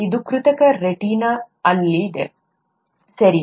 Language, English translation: Kannada, This is on artificial retina, okay